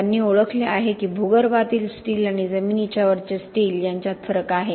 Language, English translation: Marathi, They have recognized that there is a difference between steel underground, for example and steel above ground structures